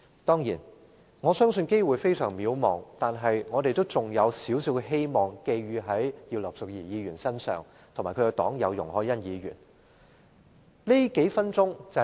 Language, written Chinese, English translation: Cantonese, 雖然我相信機會非常渺茫，但仍將少許希望寄予葉劉淑儀議員及其黨友容海恩議員身上。, As slim as the chances are I still believe that I can pin some hopes on Mrs Regina IP and her fellow party member Ms YUNG Hoi - yan